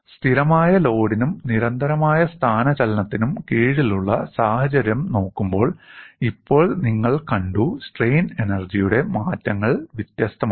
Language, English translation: Malayalam, Now, you have seen when you look at the situation under constant load and constant displacement, the strain energy changes or differ